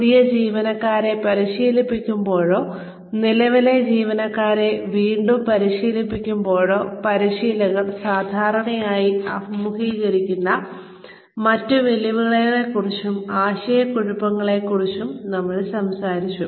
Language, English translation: Malayalam, We talked about, other challenges and confusion, trainers usually face, when they are training new employees, or re training the current employees